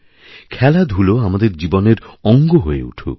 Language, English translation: Bengali, Sports should become a part of our lives